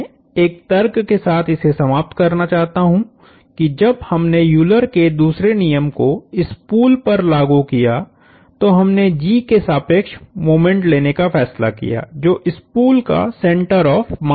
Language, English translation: Hindi, I do want to close with one point that notice that when we applied the Euler’s second law to the spool, we chose to take moments about G, which is the center of mass of the spool